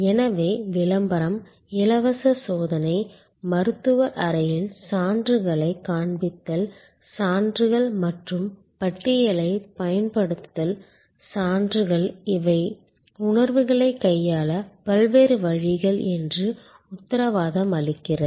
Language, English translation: Tamil, So, advertisement, free trial, display of credentials in the doctor chamber, use of evidence and the catalog, testimonials, guarantees these are different ways to handle that is perception